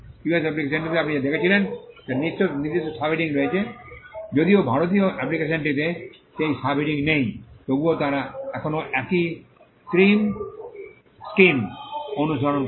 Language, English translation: Bengali, What you saw in the US application which had particular subheadings though the Indian application do not have those subheadings, nevertheless they still follow the same scream scheme